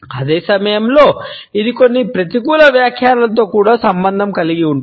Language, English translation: Telugu, At the same time, it is associated with certain negative interpretations also